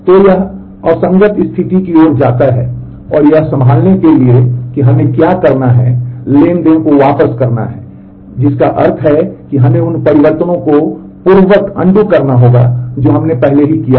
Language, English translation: Hindi, So, this leads to inconsistent state and to handle that what we need to do is to roll back the transaction, which means that we need to undo the changes that we have already done